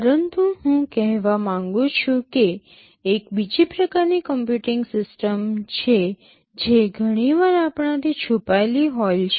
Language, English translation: Gujarati, But what I want to say is that, there is another kind of computing system that is often hidden from us